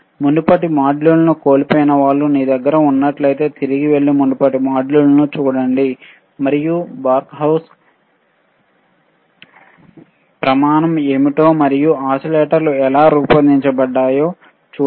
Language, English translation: Telugu, iIf you have missed the earlier modules, go back and see earlier modules and see how what are the bBarkhausen criteria is and how the oscillators were designed